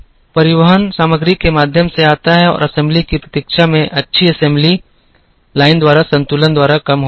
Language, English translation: Hindi, Transportation comes through material movement and waiting for assembly is reduced by good assembly linebalancing